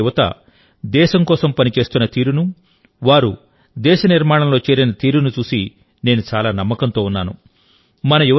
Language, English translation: Telugu, The way our youth of today are working for the country, and have joined nation building, makes me filled with confidence